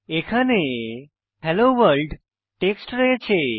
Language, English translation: Bengali, Here is our text Hello World